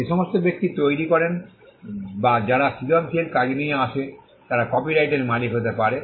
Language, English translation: Bengali, People who create or who come up with creative work can be the owners of copyright